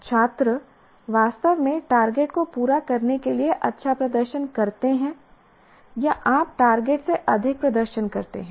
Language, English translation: Hindi, The students actually perform well to meet the target or you may exceed the target